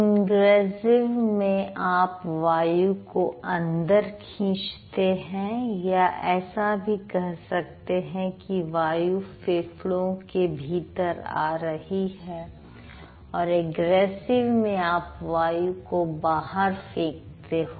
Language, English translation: Hindi, So, when it is ingressive, you are inhaling or air is coming inside the lungs and if it is egressive then air is going outside